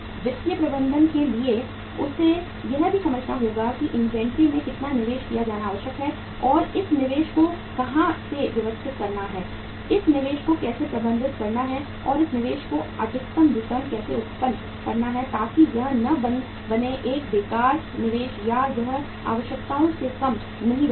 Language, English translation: Hindi, For the financial manager also he also has to understand that how much investment is required to be made in the inventory and from where to arrange this investment, how to manage this investment and how to generate maximum returns on this investment so that it does not become a wasteful investment or it does not remain short of the requirements